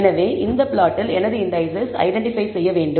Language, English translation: Tamil, So, on this plot I want my indices to be identified